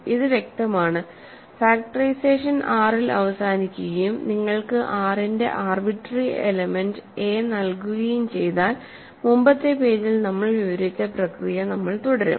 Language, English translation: Malayalam, So, this is clear right, if factorization terminates in R and you are given an arbitrary element of a arbitrary element a of R we continue the process we described in the previous page